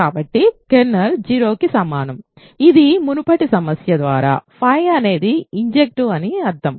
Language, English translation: Telugu, So, kernel is equal to 0, which by an earlier problem means phi is injective ok